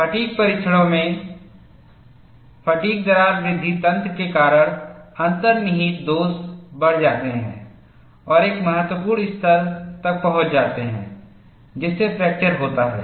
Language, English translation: Hindi, In fatigue tests, inherent flaws grow, due to fatigue crack growth mechanism and reach a critical level, which leads to fracture